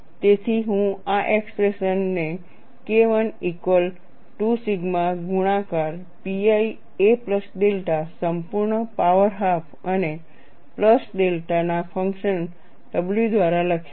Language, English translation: Gujarati, So, I would write this expression as K 1 equal to sigma multiplied by pi a plus delta whole power half and a function of a plus delta by w